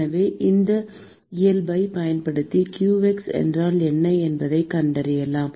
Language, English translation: Tamil, So, we can use that property to find out what is qx